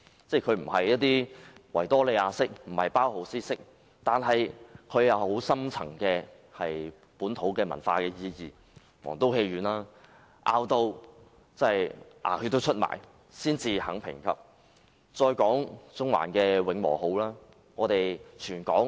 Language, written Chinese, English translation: Cantonese, 儘管不屬於維多利亞式、包豪斯式建築，但這些建築物卻具有深層的本土文化意義，例如皇都戲院，經各方拼命爭取當局才肯予以評級。, Some buildings are neither Victorian nor Bauhaus in style but they have a profound meaning in terms of local culture . An example is the State Theatre which is only graded by the authorities after insistent demands by various sectors